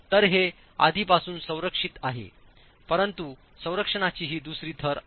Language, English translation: Marathi, So, it is already protected but this is the second layer of protection